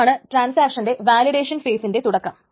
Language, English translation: Malayalam, This is the start of the validation phase of the transaction